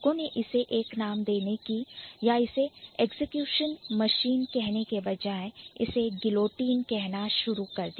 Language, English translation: Hindi, So, instead of giving it a name or calling it an execution machine, people started calling it as as guillotine